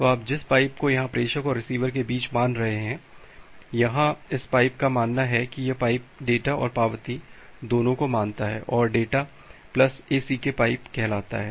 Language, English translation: Hindi, So, the pipe that you are considering here between the sender and the receiver; so here this pipe assume that this pipe considers both the data and the acknowledgement, data plus ACK pipe